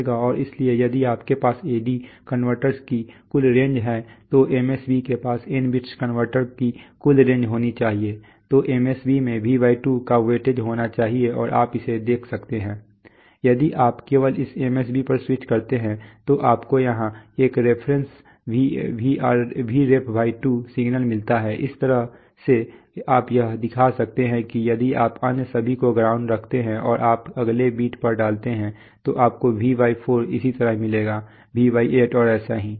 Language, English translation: Hindi, And, so if you have a total range of the A/D converters then the MSB should have a total range of n bits converter then the MSB should have a weightage of V/2 and you can see that, If you only switch on this MSB, you get a Vref/2 signal here, in this way you can show that, if you if you kept all the others grounded and you put on the next bit on you would have got V/4 similarly V/8 and so on